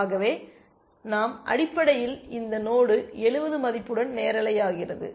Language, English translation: Tamil, So, we basically this node becomes live with a value of 70